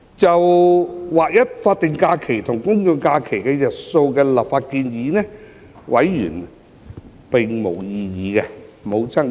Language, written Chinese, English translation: Cantonese, 就劃一法定假日與公眾假期日數的立法建議，委員並無爭議。, There was no disagreement among members on the legislative proposal to align the number of SHs with that of GHs